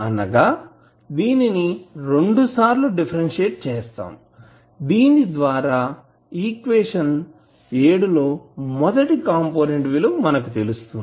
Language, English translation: Telugu, That means that you will differentiate it twice so, you will get the first component